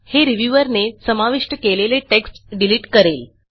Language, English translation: Marathi, This deletes the text inserted by the reviewer